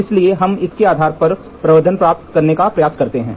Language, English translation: Hindi, So, we try to get the amplification based on this